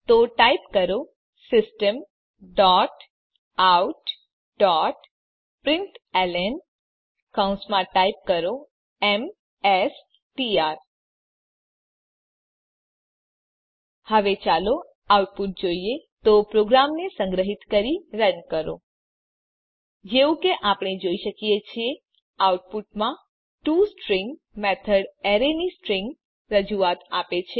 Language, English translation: Gujarati, So, type System dot out dot println inside Paranthesis type mStr Now let us look at the output so save and run the program As we can see in the output, the toString method has given a string representation of the array